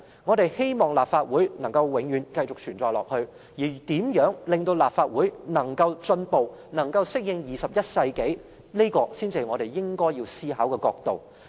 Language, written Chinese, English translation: Cantonese, 我們也希望立法會可以繼續存在，而如何令立法會有所進步，適應21世紀的發展，這才是我們應要思考的角度。, We all hope that the Legislative Council will exist continuously . Hence we should consider issues from the perspective of facilitating the advancement of the Legislative Council in coping with developments in the 21century